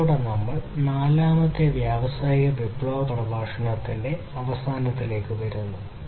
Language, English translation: Malayalam, With this we come to an end of the fourth industrial revolution lecture